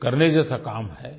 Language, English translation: Hindi, This is a task worth doing